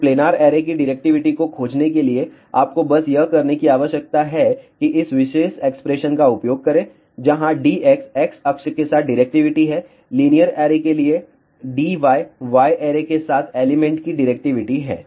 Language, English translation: Hindi, So, to find the directivity of the planar array all you need to do it is use this particular expression, where D x is the directivity along the x axis for the linear array D y is the directivity of the elements along the y array